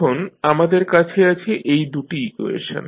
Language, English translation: Bengali, Now, we have got these two equations